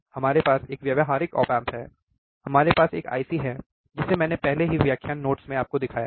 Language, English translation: Hindi, We have a practical op amp, we have IC that I have already shown it to you in the lecture notes